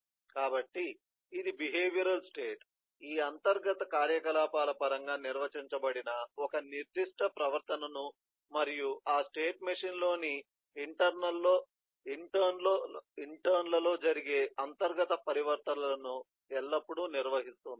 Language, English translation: Telugu, so this is the behavioral state will always carry with a certain behavior which is defined in terms of these internal activity and internal transitions that may happen in interns of within that state machine